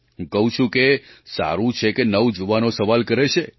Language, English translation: Gujarati, I say it is good that the youth ask questions